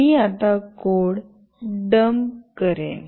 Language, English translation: Marathi, I will now dump the code